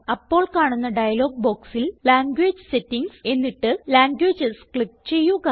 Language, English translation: Malayalam, In the dialog box which appears, click on the Language Settings option and finally click on Languages